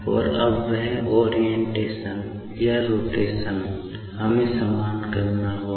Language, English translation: Hindi, And, now that orientation term or the rotation term, we will have to equate